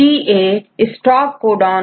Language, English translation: Hindi, Right UGA is a stop codon